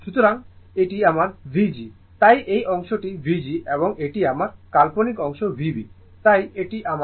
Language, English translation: Bengali, So, this is my V g so, this portion is V g and this is my imaginary part V b so, this is my V b